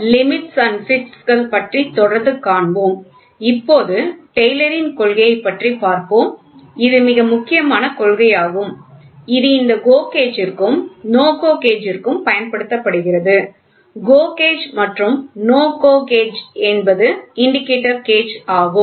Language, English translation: Tamil, Continuing with systems of Limits and Fits; so, we will now look at Taylor’s principle which is a very important principle, which is used for this GO gauge and NO GO gauge; GO gauge NO GO gauge these gauges are indicator gauges